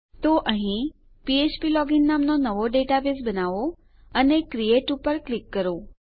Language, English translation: Gujarati, So here, create new database called php login and click create